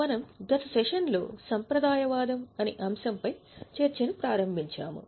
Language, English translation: Telugu, If you remember in the last session we had started our discussion on the concept of conservatism